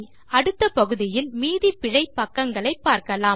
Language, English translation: Tamil, So in the next parts, we will cover the rest of the error pages